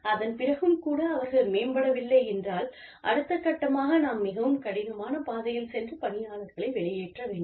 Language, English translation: Tamil, And, if even then, they do not improve, then maybe, we have to take the more difficult route, and discharge the employees